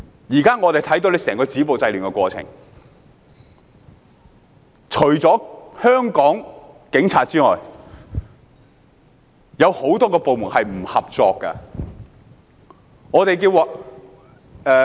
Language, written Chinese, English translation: Cantonese, 現時我們看到政府整個止暴制亂的過程，除了香港警方之外，有很多部門是不合作的。, Currently we see that many government departments are uncooperative with the Police throughout the process of stopping violence and curbing disorder